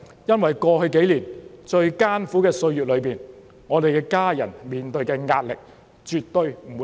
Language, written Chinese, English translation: Cantonese, 因為在過去數年最艱苦的歲月中，我們的家人面對的壓力絕對不會比議員少。, Because during the most difficult time in the past few years our family members had been under no less pressure than us as legislators